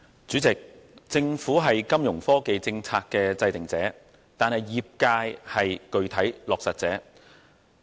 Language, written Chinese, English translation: Cantonese, 主席，政府是金融科技政策的制訂者，業界則是具體落實者。, President the Government is the formulator of the Fintech policy whereas the industry is the practical executor